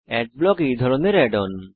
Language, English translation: Bengali, One such add on is Adblock